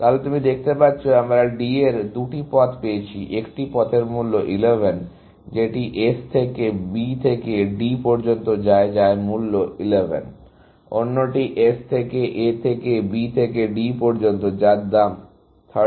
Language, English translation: Bengali, So, you can see, we have found two paths to D; one path costing 11, which goes from S to B to D, which is cost 11; the other is from S to A to B to D, which cost 13